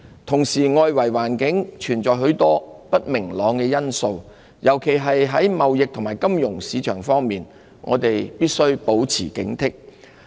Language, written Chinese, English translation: Cantonese, 同時，外圍環境存在許多不明朗因素，尤其在貿易和金融市場方面，我們必須保持警惕。, Meanwhile in the face of an external environment fraught with uncertainties particularly in respect of trade and the financial markets we must remain vigilant